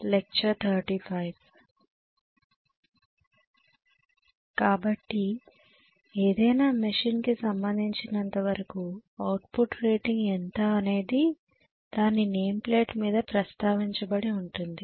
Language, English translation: Telugu, So as far as any machine is concerned the output rating is the one which is actually mentioned on the name plate detail